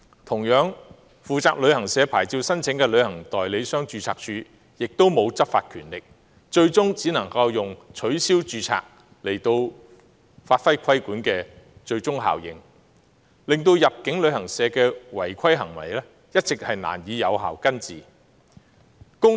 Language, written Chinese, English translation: Cantonese, 同樣地，負責旅行社牌照申請的註冊處也沒有執法權力，最終只能以取消註冊來發揮規管的最終效應，導致入境旅行社的違規行為一直難以有效根治。, Similarly TAR which is responsible for the licensing of travel agents does not have law enforcement powers . Ultimately TAR can only cancel the registration of travel agents to create a last impact . Thus the contravention by inbound travel agents cannot be resolved at root